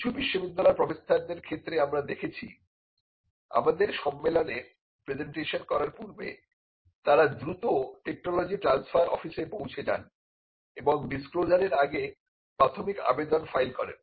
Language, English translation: Bengali, Now, this we have seen some university professors using this, they have to make a presentation in our conference and they quickly reach out to the technology transfer office and, the provisional is filed before the disclosure is made